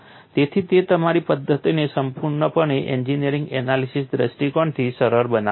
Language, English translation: Gujarati, So, that simplifies your methodology purely from an engineering analysis point of view